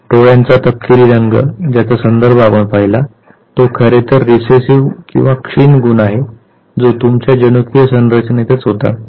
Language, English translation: Marathi, So, the brownness of the eye ball that we were referring to was the recessive trait that you are carrying your genetic makeup had that